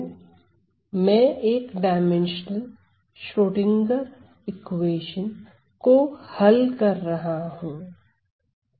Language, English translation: Hindi, So, I am solving 1 D Schrodinger equation just to recap